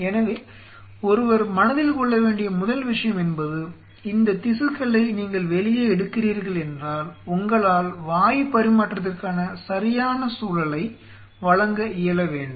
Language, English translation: Tamil, So, first thing what one has to keep in mind if you are taking out this tissue out here and you should be able to provide right milieu of gaseous exchange